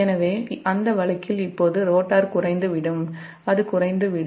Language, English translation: Tamil, so in that case the rotor will accelerate and it will move along this path